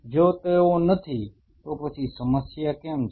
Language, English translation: Gujarati, If they are not then why there is a problem